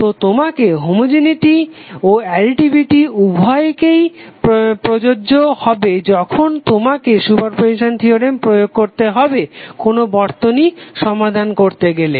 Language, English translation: Bengali, So the homogeneity and additivity both would be applicable when you have to use super position theorem to solve circuit